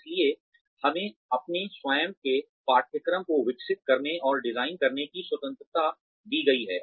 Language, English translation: Hindi, So, we are given the freedom to develop, and design our own curricula